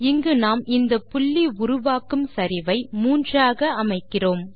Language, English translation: Tamil, Here we are setting the slope of the line that will be traced by this point to 3